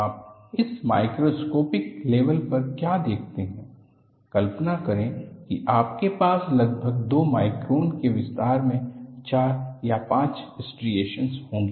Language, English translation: Hindi, What you see here, happens that are microscopic level; imagine, that you will have 4 or 5 striations in a span of about 2 microns